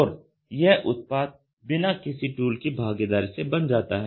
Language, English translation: Hindi, And this object is made without involving any tools